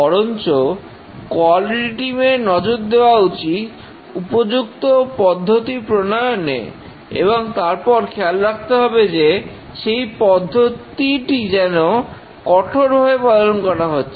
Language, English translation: Bengali, Rather, the quality team needs to concentrate on having a good process and then seeing that the process is followed rigorously